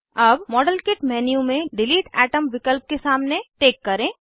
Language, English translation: Hindi, Open modelkit menu and check against delete atom